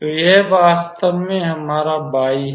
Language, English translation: Hindi, So, this is our y actually